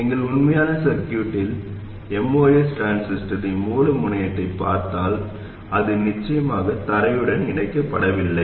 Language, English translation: Tamil, If you look at the source terminal of the most transistor in our actual circuit, it is certainly not connected to ground